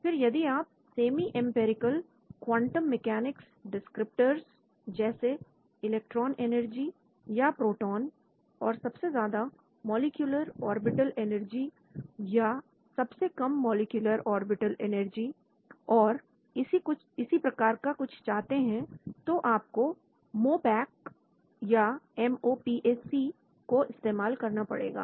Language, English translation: Hindi, Then, if you are interested in the semi empirical quantum mechanic descriptors like electron energy or proton, and highest occupied molecular orbital energy or lowest unoccupied molecular orbital energy and so on you have to use MOPAC